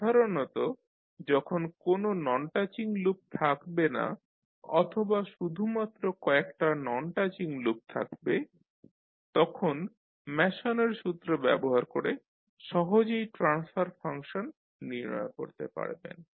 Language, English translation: Bengali, So generally when you have no non touching loop or only few non touching loop you can utilize the Mason’s formula easily find out the transfer function